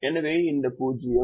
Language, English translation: Tamil, this zero will become one